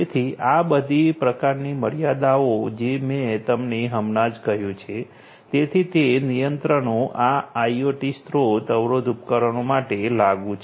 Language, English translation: Gujarati, So, all these sorts of constants that I told you just now, so those constraints are applicable for these IoT resource constrained devices